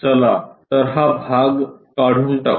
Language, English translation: Marathi, So, let us remove this portion